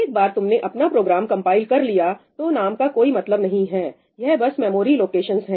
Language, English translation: Hindi, Once you have compiled your program, names have no meaning – it’s just memory locations